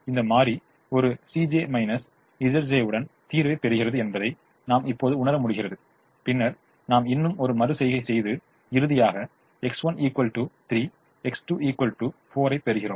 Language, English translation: Tamil, we now realize that this variable is coming into the solution with a positive c j minus z j and then we do one more iteration and finally get x one equal to three, x two equal to four